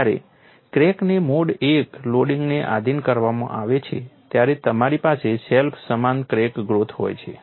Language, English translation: Gujarati, When a crack is subjected to mode one loading, you have self similar crack growth